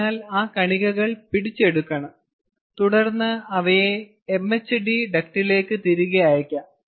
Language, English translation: Malayalam, so the seed particles have to be captured and then they can be sent back for to the mhd duct